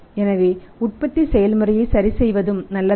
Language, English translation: Tamil, So, it means adjusting manufacturing process is also not good